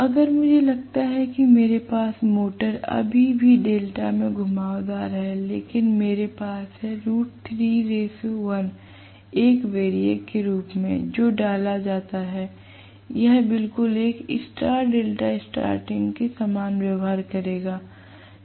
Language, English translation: Hindi, If I assume that I still have the motor winding connected in delta itself, but I am going to have root 3 is to 1 as a variac which is inserted, it will behave exactly similar to a star delta starting right